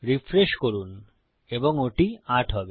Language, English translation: Bengali, Refresh and that will be 8